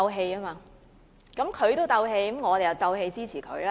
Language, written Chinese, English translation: Cantonese, 既然他鬥氣，那麼我也鬥氣支持他吧！, As he has acted out of belligerence I might as well do the same and support him!